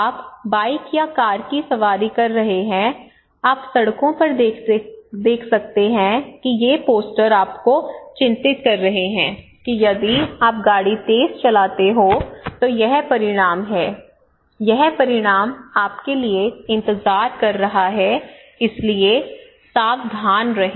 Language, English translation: Hindi, Okay that you can you are travelling you were riding bike, or you were riding car you can see on roads that these posters that is alarming you that if you do rash driving this is the consequence, this is the result is waiting for you so be careful okay